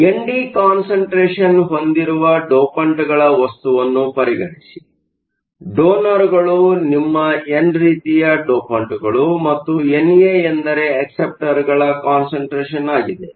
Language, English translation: Kannada, So, consider a material where N D is the concentration of donors, donors are your n type dopants and N A is the concentration of acceptors